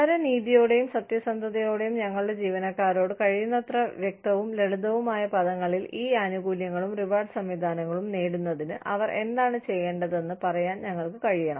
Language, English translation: Malayalam, In all fairness, in all honesty, we need to be, able to tell our employees, in as clear and simple terms, as possible, what they need to do, in order to, earn these benefits and reward systems, that we have put out, for them